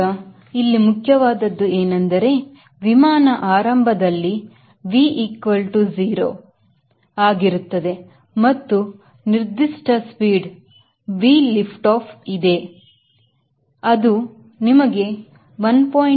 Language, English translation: Kannada, now what is important here is that the airplane initially is at v equal to zero right and there is a particular speed, v lift off, which you know